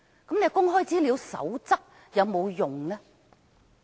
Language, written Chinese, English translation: Cantonese, 那麼，《公開資料守則》又有沒有用處呢？, Then does the Code on Access to Information serve any purpose?